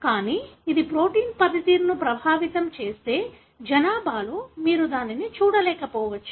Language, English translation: Telugu, But if it affects the function of the protein, you may not see that in the population